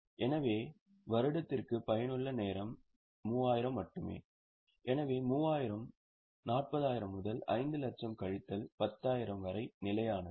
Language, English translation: Tamil, So, the useful hours per year are only 3,000 so 3,000 upon 40,000 into 50, 5 lakh minus 10,000 which is constant